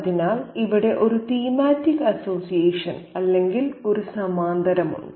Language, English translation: Malayalam, So, there is a thematic association or a parallel here